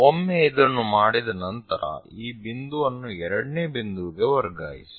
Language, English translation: Kannada, Once done transfer this point to all the way to second point, the second point here